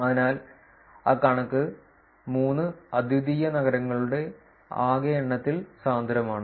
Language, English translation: Malayalam, So that is figure 3 is denser with the total number of unique cities